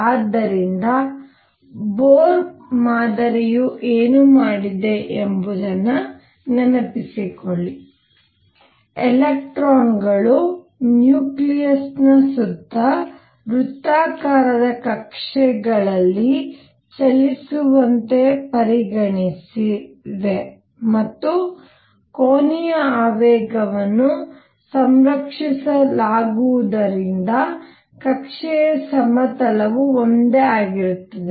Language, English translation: Kannada, So, recall what the Bohr model did Bohr model did was that it considered electrons to move be moving in circular orbits around the nucleus and because angular momentum is conserved the plane of the orbit is the same